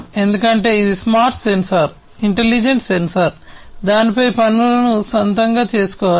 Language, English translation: Telugu, Because it is a smart sensor, because it is an intelligent sensor, it has to do things on it is own